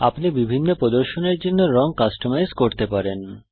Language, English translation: Bengali, You can customize colours for different displays